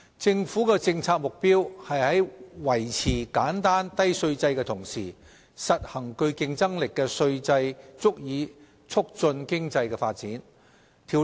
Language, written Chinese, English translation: Cantonese, 政府的政策目標是在維持簡單低稅制的同時，實行具競爭力的稅制以促進經濟發展。, The policy objective of the Government is to adopt a competitive tax regime to promote economic development while maintaining a simple and low tax regime